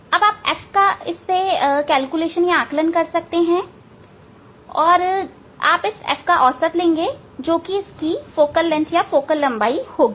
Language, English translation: Hindi, Then you can calculate f, you can calculate f and you can take the average of the f of that will be the focal length of this